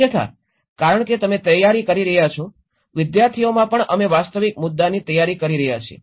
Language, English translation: Gujarati, Otherwise, because you are preparing, even in the students we are preparing for the real issues